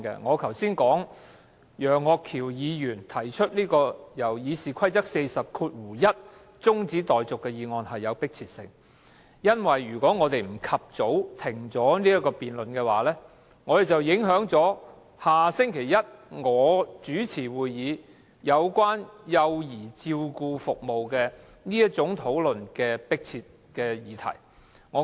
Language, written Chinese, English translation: Cantonese, 我剛才說楊岳橋議員根據《議事規則》第401條提出的中止待續議案有迫切性，因為如果我們不及早中止修改《議事規則》議案的辯論，便會影響下周一由我主持，討論有關幼兒照顧服務這項迫切議題的會議。, I said just now that I found the adjournment motion moved by Mr Alvin YEUNG under RoP 401 a matter of urgency for if we did not adjourn the debate on amending RoP the meeting chaired by myself at which the urgent issue of child care services would be discussed would be affected